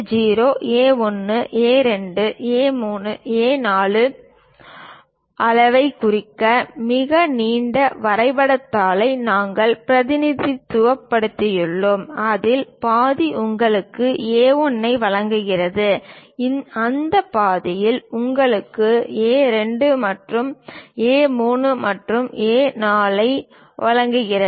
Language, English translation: Tamil, To represent pictorially the A0 size A1, A2, A3, A4, we have represented a very long drawing sheet; half of that gives you A1, in that half gives you A2, further A3, and A4